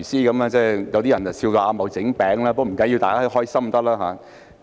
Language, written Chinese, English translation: Cantonese, 有些人笑他"阿茂整餅"，但不要緊，最重要是大家開心。, Some people teased him saying that he is Ah Mo making cakes . It does not matter as everyone being happy is the most important